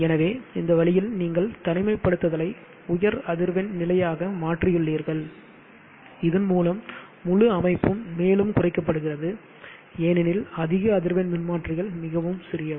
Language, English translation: Tamil, So in this way you have shifted the isolation to the high frequency point thereby, making the whole system more compact, because the high frequency transformers are very compact